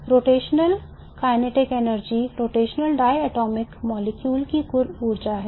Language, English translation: Hindi, The rotational kinetic energy is the total energy of the rotating diatomic molecule